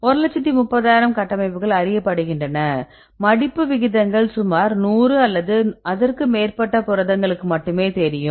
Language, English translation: Tamil, One lakh one lakh thirty thousand structures are known, but with the folding rates we know the folding rates only for about hundred proteins hundred plus proteins